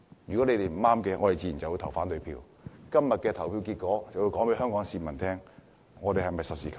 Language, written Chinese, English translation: Cantonese, 如果是不對的，我們自然會投反對票，今天的投票結果就會告訴香港市民，建制派是否實事求是。, If it is wrong we will naturally cast an opposing vote . Todays voting result will tell Hong Kong people that whether or not the pro - establishment camp is practical and realistic